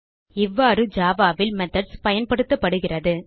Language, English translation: Tamil, This is how methods are used in java